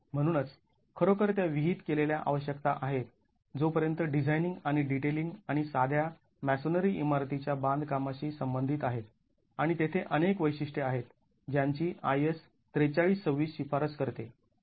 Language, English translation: Marathi, So, really it is prescriptive requirements as far as designing and detailing and construction of simple masonry buildings are concerned and there are several features which IS 4326 recommends